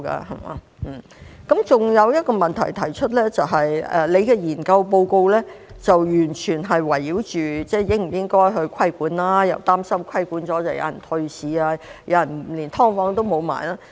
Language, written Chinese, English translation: Cantonese, 我還要提出一個問題，就是局長的研究報告完全圍繞應否規管，又擔心規管後有人退市，就連"劏房"都沒有。, I would also like to raise one more issue . The Secretarys study report is entirely focused on whether regulation should be imposed and he is worried that after regulation some people will withdraw from the market and then even SDUs will not be available